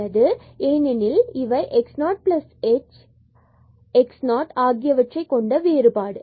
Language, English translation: Tamil, So, this is the point here between x 0 and x 0 plus h